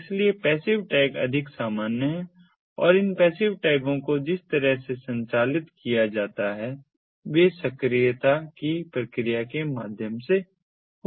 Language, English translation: Hindi, so passive tags are more common and the way these passive tags are operated are through the process of inductivity